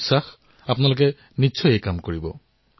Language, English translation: Assamese, I am sure that you folks will definitely do this work